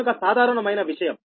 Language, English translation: Telugu, right, so simple thing